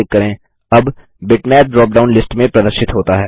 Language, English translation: Hindi, The Bitmap now appears in the drop down list